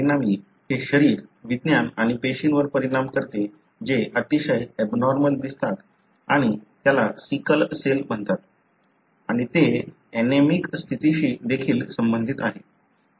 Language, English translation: Marathi, As a result, it affects the physiology and the cell that look very, very abnormal and that is called as sickle cell and also it is associated with anaemic condition